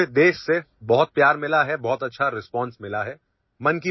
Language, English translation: Urdu, We have received a lot of affection from the entire country and a very good response